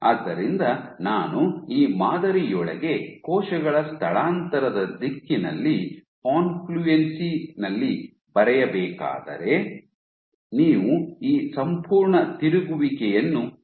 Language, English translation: Kannada, So, if I were to draw at the directions of cell migration within these patterns at confluence you would see this complete rotation